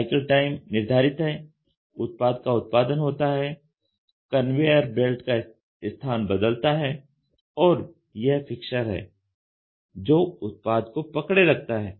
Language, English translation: Hindi, It is also fixed the cycle time is fixed the product is produced the conveyor belt is moving and this is a fixture to hold it